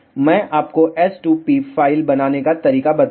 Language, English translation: Hindi, I will tell you how to make the S 2 p file